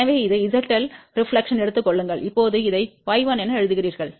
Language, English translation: Tamil, So, this is Z L, take the reflection, now you write this as y 1